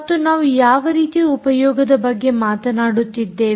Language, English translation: Kannada, and what kind of applications are we talking about